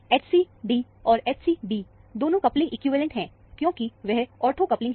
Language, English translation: Hindi, The H c d and the H c b, the couplings are equivalent, because they are ortho coupling